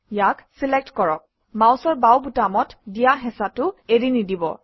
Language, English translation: Assamese, Select it, and do not release the left mouse button